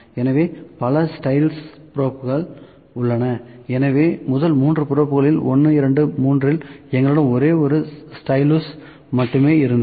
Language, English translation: Tamil, So, multiple styluses probes are also there so, in the first 3 probes 1, 2 and 3 we had only one stylus